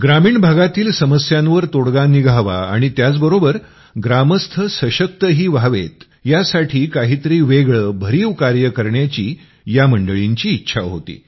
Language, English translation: Marathi, These people wanted to do something that would solve the problems of the villagers here and simultaneously empower them